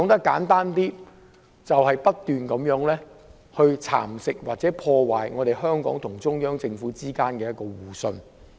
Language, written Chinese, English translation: Cantonese, 簡單而言，就是不斷蠶食或破壞香港與中央政府之間的互信。, To put it simply the mutual trust between the Hong Kong Government and the Central Government is being eroded or ruined